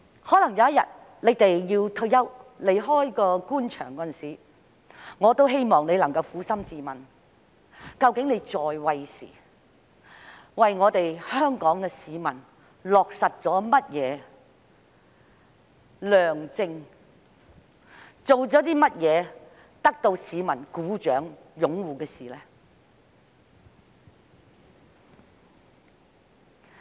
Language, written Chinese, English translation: Cantonese, 將來有一天，當他們退休離開官場時，我希望他們能夠撫心自問，究竟在位時為香港市民落實了甚麼德政，做過甚麼得到市民掌聲和擁護的事。, One day when they retire from the Government I hope they will ask themselves sincerely whether they have implemented any benevolent policy for the people of Hong Kong during their tenure and what they have done to win the applause and support of the public